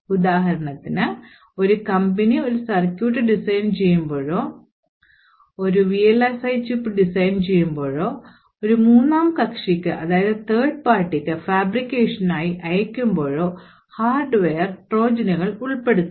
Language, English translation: Malayalam, For example, when a company actually designs a circuit or designs a VLSI chip and sends it for fabrication to a third party, hardware Trojans may be inserted